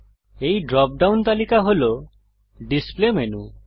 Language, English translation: Bengali, This dropdown list is the display menu